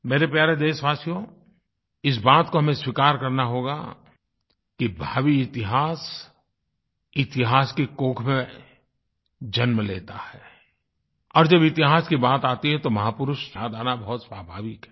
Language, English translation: Hindi, My dear countrymen, we will have to accept the fact that history begets history and when there is a reference to history, it is but natural to recall our great men